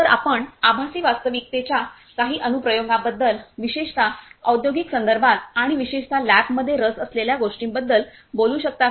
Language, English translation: Marathi, So, could you talk about some of the applications of virtual reality particularly in the industrial context and more specifically something that the lab is interested in